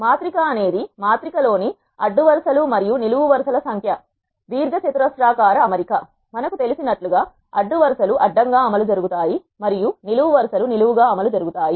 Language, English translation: Telugu, A matrix is a rectangular arrangement of numbers in rows and columns in a matrix as we know rows are the ones which run horizontally and columns are the ones which run vertically